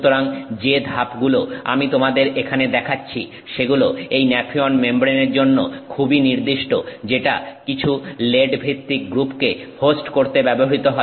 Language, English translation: Bengali, So, what steps I am showing you here are very specific to the nephion membrane being used to host some lead based salt